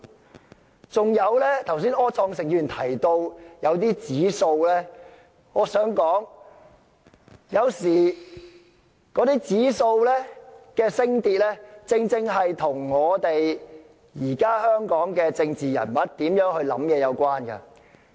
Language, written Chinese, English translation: Cantonese, 柯創盛議員剛才提到某些指數，我想說的是，有時候那些指數的升跌，是與現時香港政治人物的想法有關。, Mr Wilson OR has just mentioned some indices . What I would like to say is that sometimes the rise and fall of those indices are related to the thinking of politicians in Hong Kong